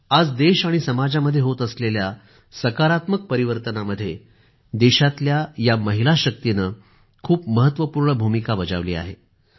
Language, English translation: Marathi, The country's woman power has contributed a lot in the positive transformation being witnessed in our country & society these days